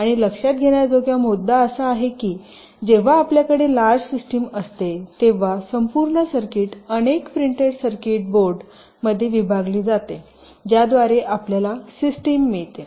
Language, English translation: Marathi, and the point to note is that when you have a large system, usually the total circuit is divided across a number of printed circuit boards, whereby we get the system